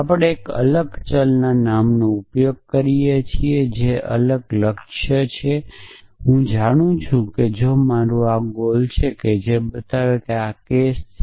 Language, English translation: Gujarati, We use a different variable name which is a is a goal noise know if I if this is my goel that show that this is a case